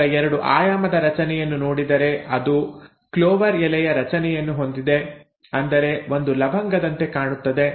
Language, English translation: Kannada, If one were to look at its two dimensional structure, it has a clover leaf structure, I mean; it looks like the cloves